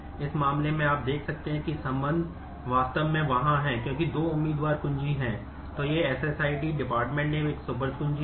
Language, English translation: Hindi, In this case you can see that the relationship actually is in the there because there are two candidate keys and